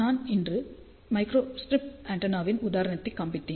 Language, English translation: Tamil, I did show you an example of a microstrip antenna today